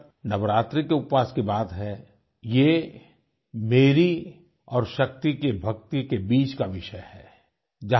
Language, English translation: Hindi, As far as the navaraatri fast is concerned, that is between me and my faith and the supreme power